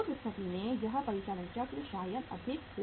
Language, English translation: Hindi, In that case this operating cycle maybe maybe of the more duration